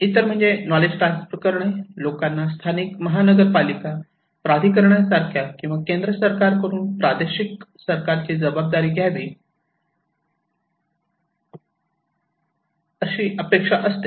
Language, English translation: Marathi, Other one is that the transferring of knowledge, they want to take the responsibility by others like local municipal authority or by the central government on regional government